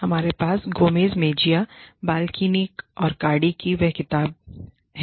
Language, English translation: Hindi, We have the same book, by Gomez Mejia, Balkin, and Cardy